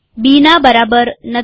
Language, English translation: Gujarati, Not equal to B